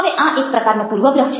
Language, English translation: Gujarati, this is a kind of a bias